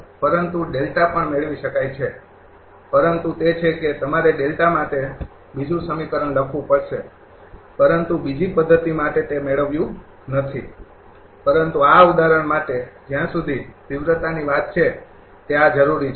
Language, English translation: Gujarati, But delta can also be obtained, but that you have to write another equation for delta, but not obtained for the second method so, but for this example as far as magnitude is concern this is require I mean this is your what to call voltage magnitude and your power losses, right